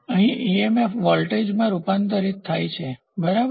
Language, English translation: Gujarati, So, EMF converted into voltage, ok